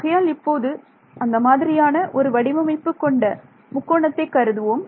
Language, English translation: Tamil, So, let us let us consider a triangle of this form ok